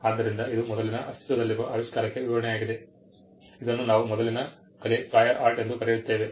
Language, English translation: Kannada, So, that is a description to an earlier existing invention, what we call a prior art